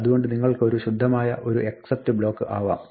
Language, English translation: Malayalam, So, you can have a pure except block